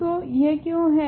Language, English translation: Hindi, So, why is this